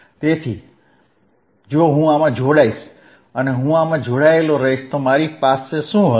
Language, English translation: Gujarati, So, I if I join this one, and I join this one, what I will I have